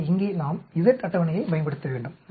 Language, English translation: Tamil, So here we have to use the z table